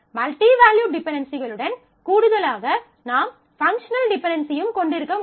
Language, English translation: Tamil, So, that in addition to the multi value dependencies, I can also have a functional dependency